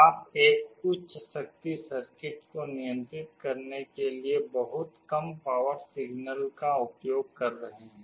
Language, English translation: Hindi, You are using a very low power signal to control a higher power circuit